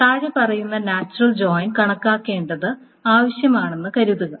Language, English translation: Malayalam, Suppose the following natural join needs to be computed